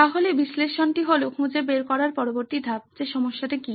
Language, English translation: Bengali, So analyze is the next phase to find out what is the problem